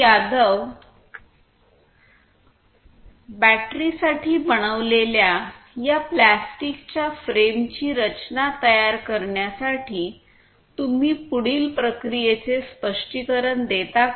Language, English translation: Marathi, Yadav could you please explain the process that is followed over here in order to prepare this frame that is made for the batteries, the plastic batteries